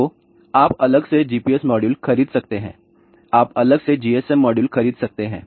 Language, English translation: Hindi, So, you can by separately GPS module, you can buy separately GSM modules